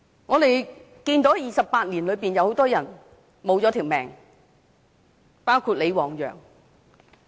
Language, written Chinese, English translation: Cantonese, 在這28年間，很多人失去了性命，包括李旺陽。, In these 28 years many people including LI Wangyang lost their lives